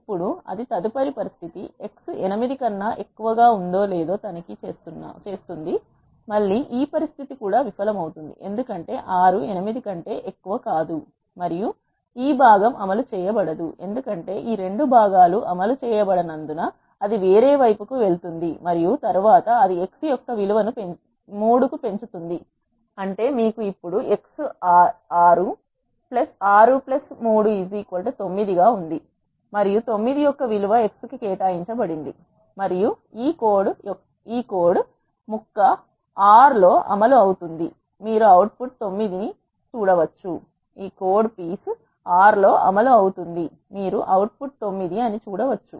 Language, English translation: Telugu, Now it will check whether the next condition, x is greater than 8; again this condition also fails because 6 is not greater than 8 and this part is not executed, since this 2 parts are not executed it will move to the else and then it will increment the value of x by 3; that means, you have now x as 6, 6 plus 3 is 9 and the value of 9 is assigned to x and this piece of code is executed in R you can see that the output is 9